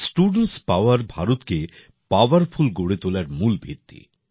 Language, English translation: Bengali, Student power is the basis of making India powerful